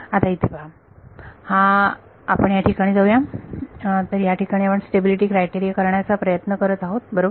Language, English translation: Marathi, Now look at let us get back to what we are trying to do stability criteria right